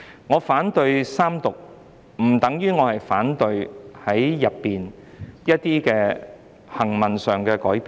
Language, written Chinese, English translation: Cantonese, 我反對三讀，不等於我反對《條例草案》內一些行文上的改變。, While I oppose the Third Reading that does not mean that I oppose the textual amendments proposed in the Bill